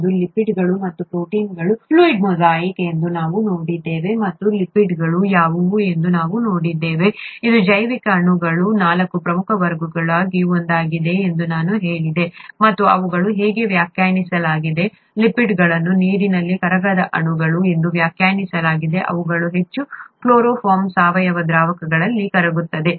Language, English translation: Kannada, We saw that it was a fluid mosaic of lipids and proteins and we saw what are lipids, which I said was one of the four major classes of biomolecules and they are defined as, lipids are defined as water insoluble molecules which are very highly soluble in organic solvents such as chloroform